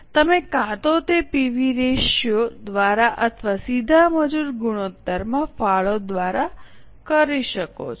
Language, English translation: Gujarati, You can either do it by PV ratio or by contribution to direct labor ratio